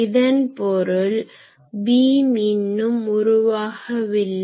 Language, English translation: Tamil, So that means that the still the beam has not been formed